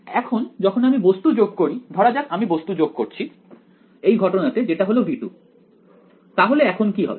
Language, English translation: Bengali, Now when I add the object now let us add the object in this case it is V 2 so, what happens now